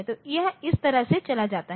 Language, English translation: Hindi, So, it will go like this